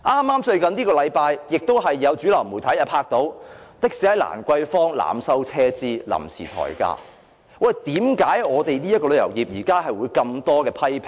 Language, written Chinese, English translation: Cantonese, 就是在這個星期，有主流媒體拍攝到有的士在蘭桂坊濫收車資、即時提高收費，為何現時旅遊業受到這麼多批評呢？, It is during this week that reporters of a mainstream media took footage of some taxi drivers in Lan Kwai Fong showing how those drivers overcharged or raised taxi fare at will etc . How come our tourism industry has received so many criticisms?